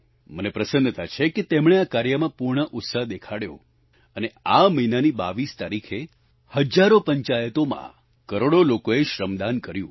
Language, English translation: Gujarati, I am happy that they have shown exemplary enthusiasm on this front and on 22nd of this month crores of people contributed free labour, Shramdaanacross thousands of panchayats